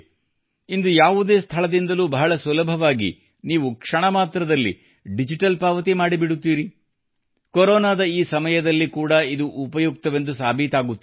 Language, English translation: Kannada, Today, you can make digital payments with absolute ease at any place; it is proving very useful even in this time of Corona